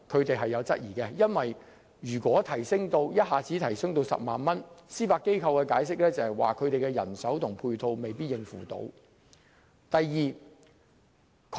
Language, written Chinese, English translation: Cantonese, 第一，如果一下子把限額提高至10萬元，司法機構的人手及配套未必能應付，從而影響機構運作。, First if the limit was raised to 100,000 in one stroke the manpower and support measures of the Judiciary might not be able to meet the needs thus affecting its operation